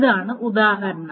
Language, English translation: Malayalam, So here here is the example